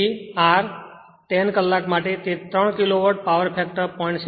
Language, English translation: Gujarati, So, for 10 hour, it was 3 Kilowatt, power factor 0